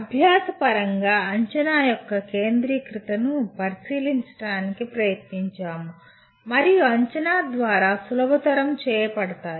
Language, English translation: Telugu, And we also tried to look at the centrality of assessment in terms of learning is measured and facilitated through assessment